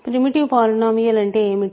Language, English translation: Telugu, What is a primitive polynomial